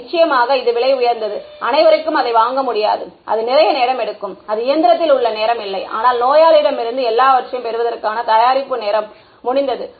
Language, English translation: Tamil, Of course, it is expensive, not everyone can afford it and it takes a lot of time right it is not just the time in the machine, but the preparation time for the patient everything getting it done